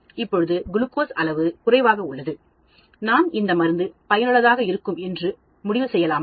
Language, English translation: Tamil, Now the glucose level is lower, can we conclude the drug is very effective